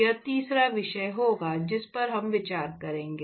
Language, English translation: Hindi, That will be the third topic we look at